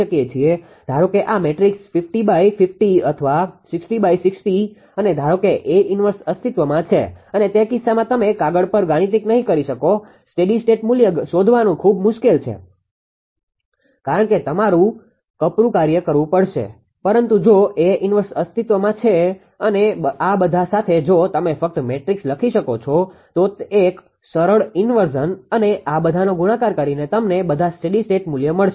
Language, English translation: Gujarati, Suppose this matrix is 50 into 50 or 60 into 60 and suppose A inverse exist and in that case you will not ah mathematical on the paper it is very difficult to find out the statistic values because you have to do a laborious task, but if A inverse exists and with all this if you write the A matrix with just a simple inversion and multiplying all these you will get all the steady state values, right